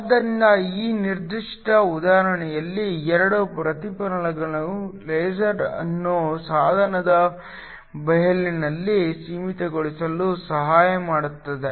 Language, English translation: Kannada, So, in this particular example the 2 reflectors help to confine the laser in the plain of the device